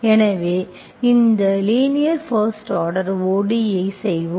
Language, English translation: Tamil, So today we will do this linear first order ODE